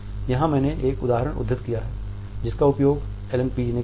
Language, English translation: Hindi, Here I have quoted an example, which have been used by Allan Pease